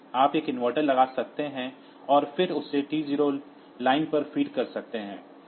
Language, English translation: Hindi, You can put an inverter and then feed it to the T 0 line